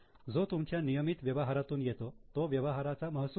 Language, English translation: Marathi, What is coming from regular operations is revenue from operations